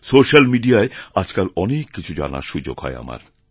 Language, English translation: Bengali, These days I get to learn quite a lot through social media